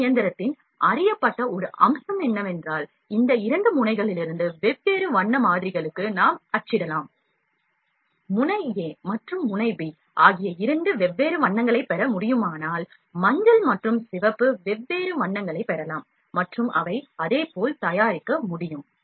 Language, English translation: Tamil, And one of one known feature which machine is that, we can print to different color models from these two nozzles, nozzle a and nozzle b if the two different colors can be obtained like, yellow and red, different colors can be obtained and those can be produced as well